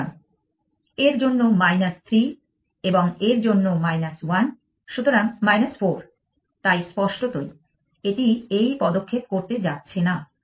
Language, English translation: Bengali, So, minus 3 for this and minus 1 for this, so minus 4, so obviously, it is not going to make this move